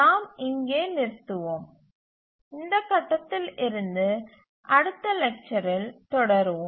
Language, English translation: Tamil, We will stop here and we will continue the next lecture at from this point